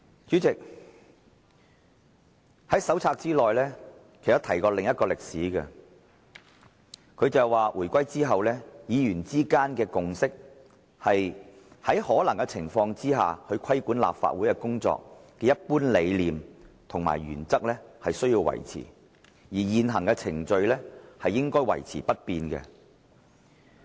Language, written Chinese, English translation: Cantonese, 主席，手冊內也提及另一宗歷史，當中所述："回歸後，議員之間的共識是，在可能的情況下，規管立法會工作的一般理念及原則須維持，而現行程序應維持不變。, President the Companion also mentions another piece of history . It reads After reunification there has been an understanding among Members that where possible the general philosophy and principles underlying the way Council business is conducted should be maintained and existing procedures should remain unchanged